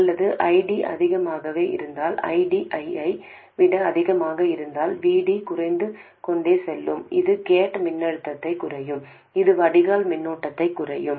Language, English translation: Tamil, Or if ID is too much, if ID is higher than I 0, then the VD will go on decreasing which will in turn reduce the gate voltage, which will in turn reduce the drain current